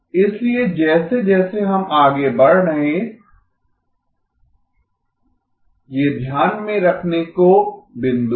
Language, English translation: Hindi, So these are the points to keep in mind as we move forward